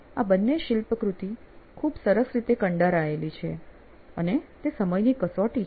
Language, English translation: Gujarati, Both of these are sculptured so well and it is to the test of time